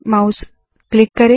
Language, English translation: Hindi, Click the mouse